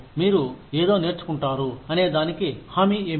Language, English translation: Telugu, What is the guarantee that, you will learn something